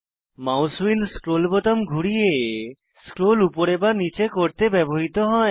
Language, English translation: Bengali, The mouse wheel is used to scroll up and down, by rolling the scroll button